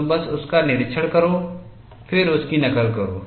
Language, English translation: Hindi, You just observe this, then copy it